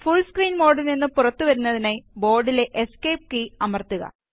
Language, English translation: Malayalam, In order to exit the full screen mode, press the Escape key on the keyboard